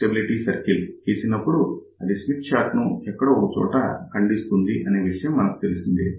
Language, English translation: Telugu, So, when you draw the stability circle, we know that stability circle will be cutting the Smith chart somewhere